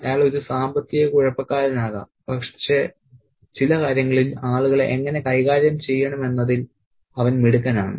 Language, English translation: Malayalam, He could be a financial maths but he is crafty in certain aspects and how to manage people